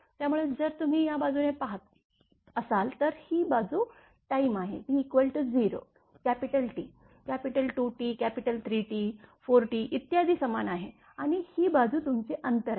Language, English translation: Marathi, So, this side if you look this side is time T is equal to 0, capital T, capital 2 T, capital 3 T, 4 T and so on this is time and this side your distance this is actually distance